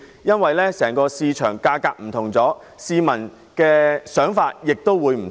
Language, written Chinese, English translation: Cantonese, 由於整體樓宇價格已有不同，市民的想法亦會不同。, Since the overall picture of property prices has already changed the views of the public may vary too